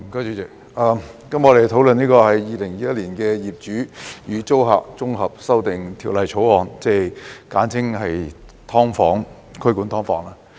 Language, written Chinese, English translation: Cantonese, 主席，今天我們討論《2021年業主與租客條例草案》，簡稱"劏房"規管。, President today we discuss the Landlord and Tenant Amendment Bill 2021 the Bill which is essentially about the regulation of subdivided units SDUs